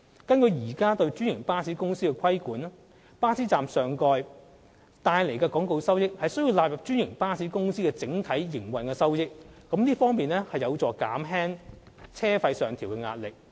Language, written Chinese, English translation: Cantonese, 根據現時對專營巴士公司的規管安排，巴士站上蓋帶來的廣告收益須納入專營巴士公司的整體營運收益，這有助減輕車資上調的壓力。, According to the current regulatory arrangements for franchised bus companies revenue generated from advertising at bus shelters should be credited to the overall operating revenue of the companies . This will help relieve the pressure of fare increase